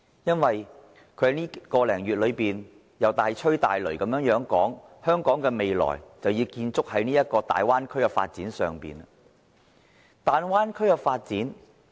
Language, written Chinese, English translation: Cantonese, 他在這1個多月裏大吹大擂的說香港的未來要建築在大灣區的發展上。, He has bragged and boasted in this month about how the future of Hong Kong should be built upon the development of the Bay Area